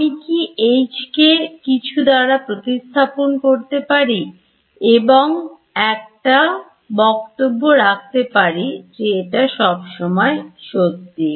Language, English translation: Bengali, Can I replace H by something and make a statement that will always be true